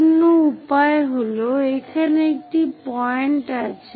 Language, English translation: Bengali, The other way is the point is here